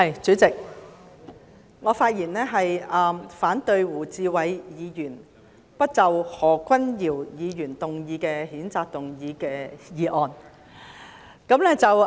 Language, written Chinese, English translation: Cantonese, 主席，我發言反對由胡志偉議員提出"不得就何君堯議員動議的譴責議案再採取任何行動"的議案。, President I speak to oppose the motion moved by Mr WU Chi - wai that no further action shall be taken on the censure motion moved by Dr Junius HO